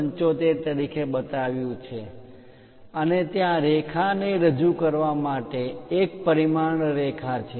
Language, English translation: Gujarati, 75 as the basic dimension and there is a dimension line to represent the line